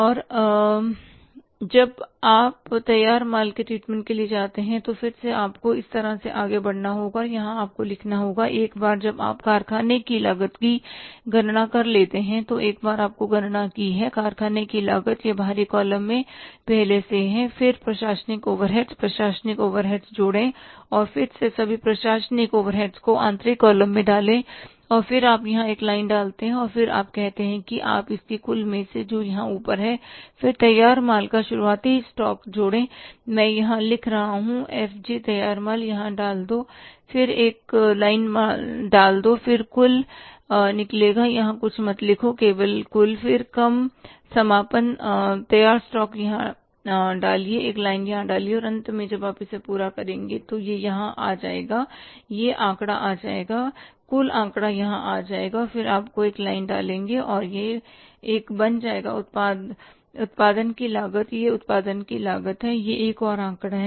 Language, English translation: Hindi, And now when you move to the treatment of the finish goods again you have to go ahead like this and here you have to write this once you calculated the factory cost, once you have calculated the factory cost it is already there in the outer column say then add administrative overheads administrative overheads and again put all the administrative overheads in the inner column and then you put a line here and then you say you call it as total it up here then add opening stock of finished goods, I am writing here FG, finish goods put it here, put a line here and then something, some total will come out, don't write anything here, only total, then less closing stock of finished goods, put here, put a line here and finally when you total it up it will come here, that figure will come, total figure will come here and then you will put a line here and it will become as the cost of, cost of production